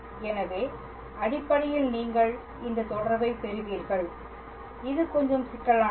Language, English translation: Tamil, So, basically at the end you will obtain this relation it is a little bit complicated